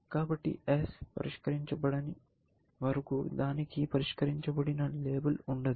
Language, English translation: Telugu, So, while, S is not solved, means it does not have a label solved